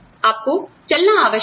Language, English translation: Hindi, You are required to walk